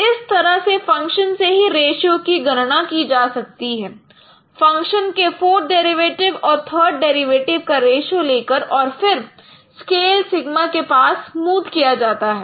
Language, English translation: Hindi, So this is how the ratios could be computed directly from the functions by taking the ratio of fourth derivative and third derivative of the function and they are all smoothened across by this scale sigma